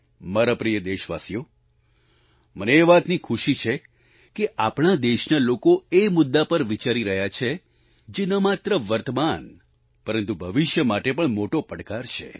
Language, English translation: Gujarati, My dear countrymen, I am happy that the people of our country are thinking about issues, which are posing a challenge not only at the present but also the future